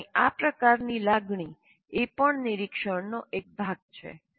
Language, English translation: Gujarati, So this kind of feelings of knowing is also part of monitoring